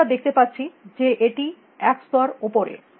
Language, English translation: Bengali, Now we can see that that is at one level of